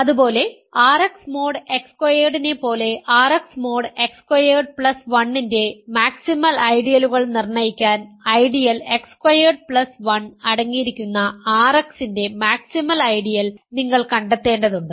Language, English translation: Malayalam, Similarly, as R X mod X squared, to determine the maximal ideals of R X mod X squared plus 1, you need to figure out the maximal ideals of R X that contain the ideal X squared plus 1